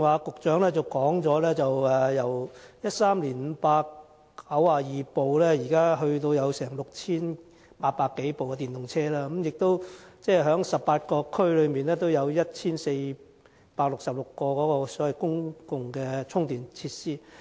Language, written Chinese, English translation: Cantonese, 局長剛才提到由2013年的592輛，至今已增至有6800多輛電動車，而且18區中亦設有1466個公共充電設施。, The Secretary mentioned earlier that the number of EVs has increased from 592 in 2013 to more than 6 800 at present and that there are 1 466 public chargers in 18 districts